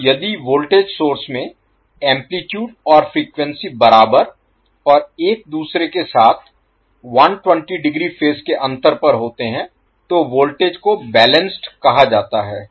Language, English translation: Hindi, So, if the voltage source have the same amplitude and frequency and are out of phase with each other by 20, 20 degree, the voltage are said to be balanced